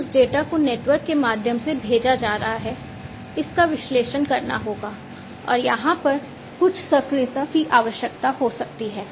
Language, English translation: Hindi, Then this data, so this data that is being sent through the network will have to be analyzed and some actuation may be required over here